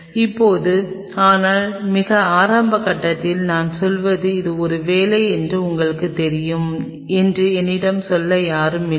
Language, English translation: Tamil, So, now, but in a very early phases I mean I had no one to tell me that you know I mean it is a job